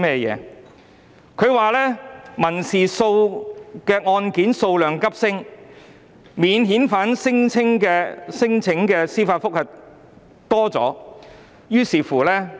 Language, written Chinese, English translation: Cantonese, 政府說道，民事案件數量急升，特別是有關免遣返聲請的司法覆核案件。, The Government says that the number of civil cases has surged especially judicial reviews involving non - refoulement claims